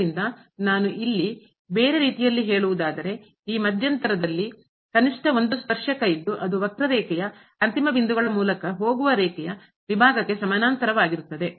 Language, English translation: Kannada, So, as I have written here in other words there is at least one tangent in this interval that is parallel to the line segment that goes through the end points of the curve